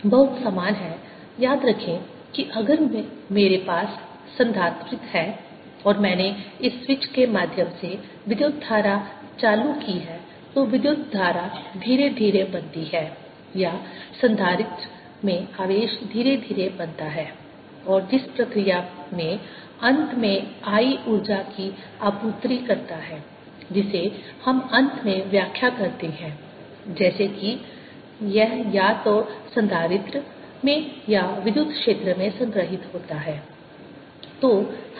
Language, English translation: Hindi, very similar to recall: if i have a capacitor and i turned a current on through a switch, the current builds up slowly, or the charge in the capacitor builds up slowly, and the process: i end up supplying energy to it, which we finally interpret as if its stored either in the capacitor or in the electric field that is there